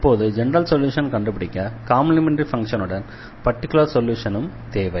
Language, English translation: Tamil, So, to find this general solution or this we need the complementary function and we need a particular solution